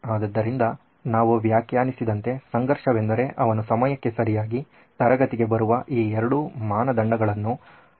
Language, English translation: Kannada, So, the conflict as we have defined it is that he has to satisfy both these criteria of coming to class on time